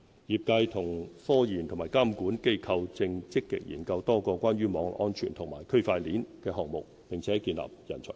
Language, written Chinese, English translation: Cantonese, 業界與科研和監管機構正積極研究多個關於網絡安全和區塊鏈的項目，並建立人才庫。, The sector as well as research institutions and regulatory authorities are actively studying a number of projects on cyber security and Blockchain and building a pool of talent